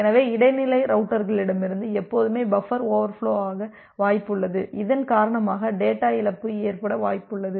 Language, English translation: Tamil, So, there is always a possibility of buffer overflow from the intermediate routers because of which there is a possibility of data loss